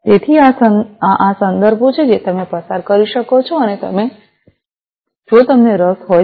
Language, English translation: Gujarati, So, these are these references that you could go through and you know if you are interested